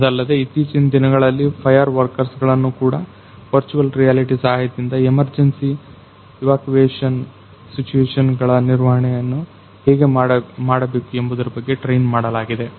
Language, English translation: Kannada, Apart from that we are nowadays fire workers are also; fire fighters are also trained with the help of virtual reality how to tackle with the emergency evacuation situations